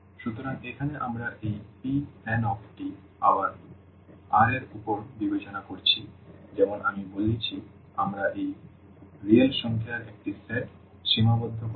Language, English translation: Bengali, So, here we are considering this P n t again over R as I said we will be restricting to a set of real number here